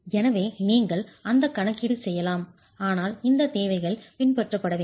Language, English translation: Tamil, So you can make that calculation but these requirements have to be have to be followed